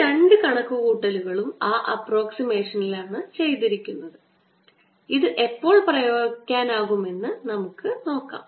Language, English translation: Malayalam, these two calculations have been done under that approximation and we want to understand when we can apply this